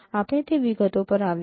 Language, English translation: Gujarati, We will come to that details